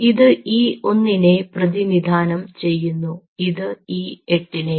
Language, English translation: Malayalam, this is showing for e one and this is e two